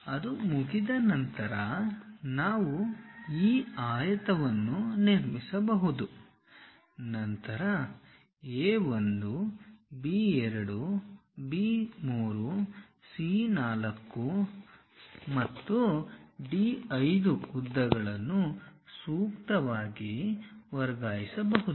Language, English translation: Kannada, Once that is done we can construct this rectangle, then transfer lengths A 1, B 2, B 3, C 4 and D 5 lengths appropriately